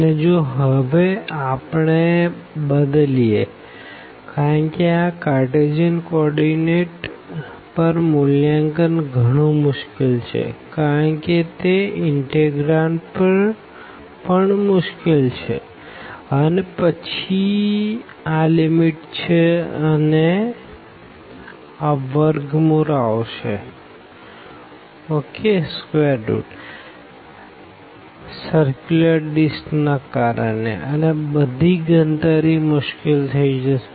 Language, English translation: Gujarati, And if we change now because direct evaluation over this Cartesian coordinate will be definitely difficult because of already the integrand is difficult then the limits again this square roots will appear because of the circular disk and overall the computation will be will be difficult